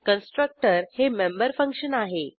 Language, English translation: Marathi, A constructor is a member function